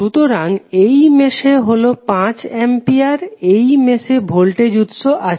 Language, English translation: Bengali, So, this is 5 ampere for this particular mesh, this mesh contains voltage source